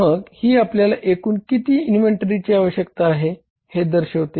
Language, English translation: Marathi, So total is that total inventory requirement is how much